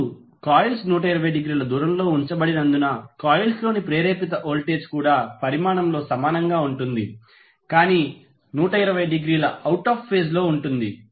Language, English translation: Telugu, Now, since the coils are placed 120 degree apart, the induce voltage in the coils are also equal in magnitude but will be out of phase by 120 degree